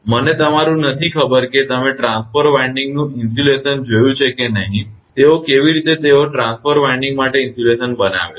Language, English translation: Gujarati, You I do not know whether you have seen that insulation of transformer winding or not, how they how they make the insulation for the transformer winding